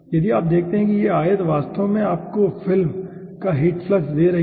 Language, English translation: Hindi, if you see aah, this rectangle is actually giving you the aah heat flux to the film